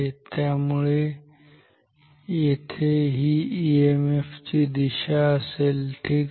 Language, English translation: Marathi, Now what will be the direction of the EMF here